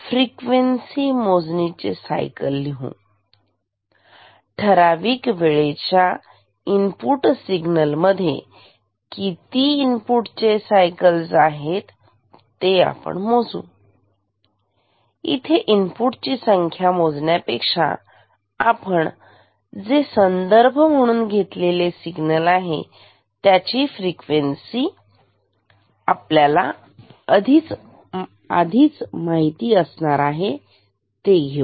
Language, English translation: Marathi, So, here we count the; let us write cycles in frequency measurement, we count the number of cycles of input signal within a predefined time and here instead of counting the input signal, we count another signal a reference signal with known frequency